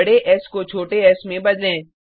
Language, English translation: Hindi, Let us replace the capital S with a small s